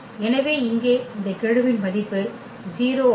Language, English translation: Tamil, So, with this coefficient is 0